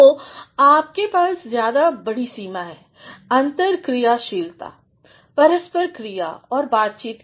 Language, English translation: Hindi, So, you have a larger scope of interactivity, interaction and dialogue